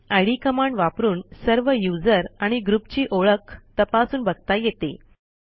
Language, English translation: Marathi, id command to know the information about user ids and group ids